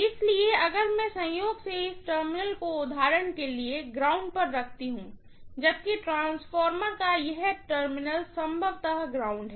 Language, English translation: Hindi, So, if I by chance ground this terminal for example, whereas this terminal of the transformer is grounded probably, right